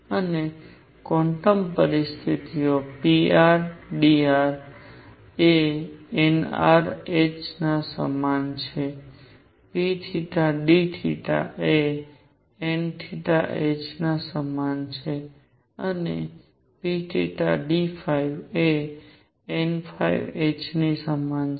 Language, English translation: Gujarati, And the quantum conditions are pr dr is equal to nr h p theta d theta is equal to n theta h and p phi d phi is equal to n phi h